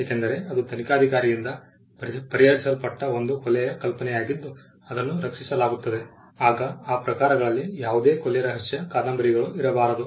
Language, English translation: Kannada, Because, that is an idea of a murder being solved by an investigator was that is protected then there cannot be any further murder mystery novels in that genres